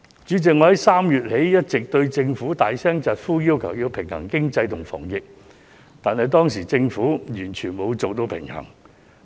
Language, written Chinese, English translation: Cantonese, 主席，我自3月起一直對政府大聲疾呼，要求它平衡經濟和防疫，因為當時政府完全沒有做好平衡。, President ever since March I have been vociferously urging the Government to strike a balance between economy and epidemic prevention as it failed to achieve that balance at the time